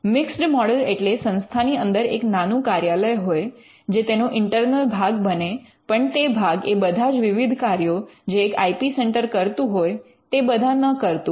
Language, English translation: Gujarati, The mixed model is where there is a small office there is an internal part to it, but the internal part does not do all the functions and we see that there are multiple functions that an IP centre does